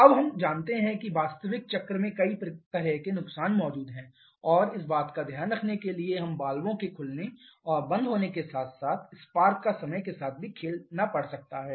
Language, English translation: Hindi, Now we know that there are several kinds of losses present in the actual cycle and to take care of that we may have to play around with the opening and closing of valves and also timing of spark